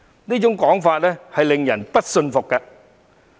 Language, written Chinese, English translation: Cantonese, 這種說法令人不信服。, This argument is unconvincing